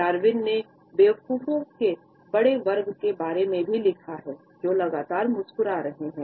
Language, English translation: Hindi, Darwin has also written about the large class of idiots, who are constantly smiling